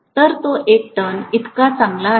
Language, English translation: Marathi, So it is as good as one turn